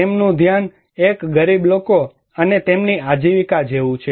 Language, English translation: Gujarati, Their focus is like one poor people and their livelihood